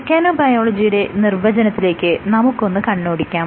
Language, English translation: Malayalam, So, let me first recap our definition of mechanobiology